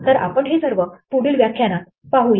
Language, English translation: Marathi, So, we will see all this in this lecture